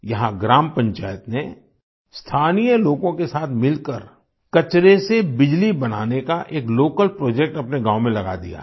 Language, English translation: Hindi, Here the Gram Panchayat along with the local people has started an indigenous project to generate electricity from waste in their village